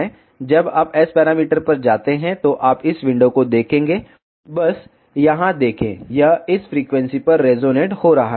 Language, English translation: Hindi, When you go to S parameter, you will see this window just see here it is resonating at this frequency